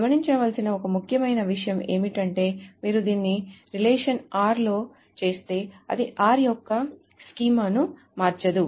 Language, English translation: Telugu, One important thing to notice that if you do it on a relation R, then it does not change the schema of R